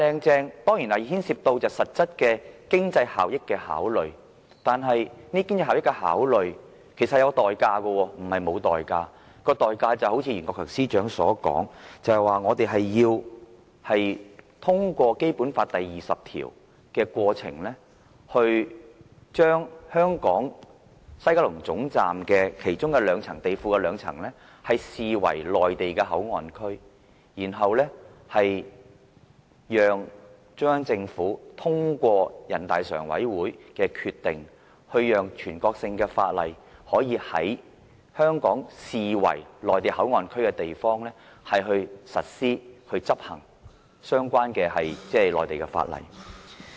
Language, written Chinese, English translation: Cantonese, 這當然牽涉到實質經濟效益的考慮，但這是有代價的，就如袁國強司長所說，我們要通過《基本法》第二十條的過程，把香港西九龍總站地庫的其中兩層視為內地口岸區，然後讓中央政府通過全國人民代表大會常務委員會的決定，讓全國性法律可以在香港視為內地口岸區的地方實施，以執行相關的內地法例。, This claim is about the factor of actual economic efficiency but we must pay a price for such economic efficiency . As Secretary for Justice Rimsky YUEN has pointed out we must first invoke the power vested with us under Article 20 of the Basic Law to designate and regard two basement levels at West Kowloon Station as the Mainland Port Area . Then with a decision of the Standing Committee of the National Peoples Congress NPCSC the Central Government can proceed to apply national laws and relevant Mainland laws in the area deemed to be within the Mainland Port Area located in Hong Kong